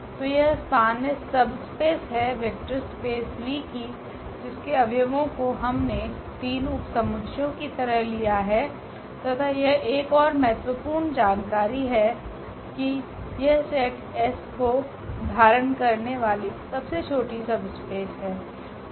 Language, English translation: Hindi, So, this is span S is the subspace meaning this a vector space of this V the subspace of V whose elements we have taken as three subsets and this is the smallest another important information that this is the smallest subspace which contains this set S